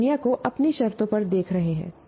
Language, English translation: Hindi, They are looking at the world on their own terms